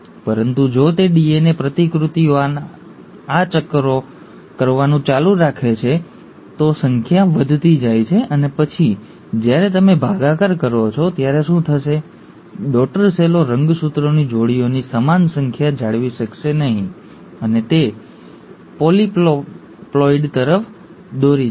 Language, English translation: Gujarati, But, if it goes on doing these rounds of DNA replications, number goes on increasing, and then when you divide, what will happen is, the daughter cells will not retain the same number of pairs of chromosomes, and that will lead to ‘polyploidy’